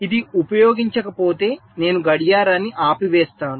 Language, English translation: Telugu, if it is not been used, i switch off the clock